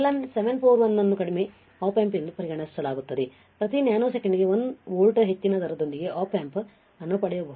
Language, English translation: Kannada, Again LM741 is considered as low Op amp you can get an Op amp with a slew rate excess of 1 volts per nanosecond all right